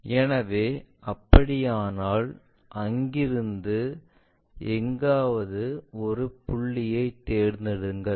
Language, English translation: Tamil, So, if that is the case pick a point here somewhere from there